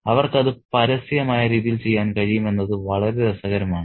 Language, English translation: Malayalam, So, it's very interesting that they can do that in an overt manner